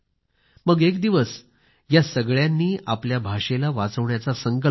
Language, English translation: Marathi, And then, one fine day, they got together and resolved to save their language